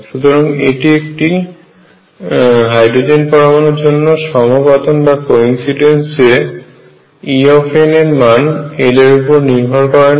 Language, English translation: Bengali, So, this is quite a coincidence for hydrogen atom E n does not depend on l